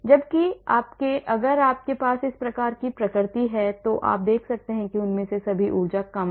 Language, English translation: Hindi, Whereas if you have this type of conformation staggered you can see all of them energy is low